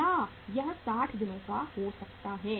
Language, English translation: Hindi, It may be of 60 days